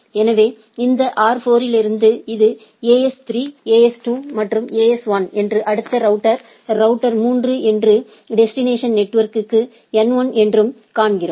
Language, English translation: Tamil, So, where from these R4 we see this is the AS3 AS2 and AS1 and then a next router is router 3 and the destination network is N1